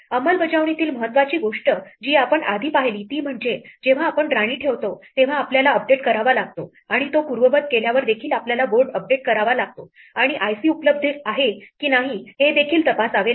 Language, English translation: Marathi, The crucial thing in the implementation that we saw the previous one is, that we have to update the board when we place the queen and update the board when we undo it and we also have to check whether i c is available